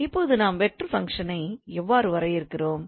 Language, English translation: Tamil, So what do we mean by vector functions